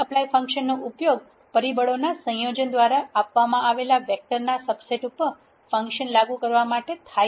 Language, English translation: Gujarati, tapply is used to apply a function over a subset of vectors given by combination of factors